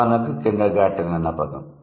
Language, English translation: Telugu, For example, kindergarten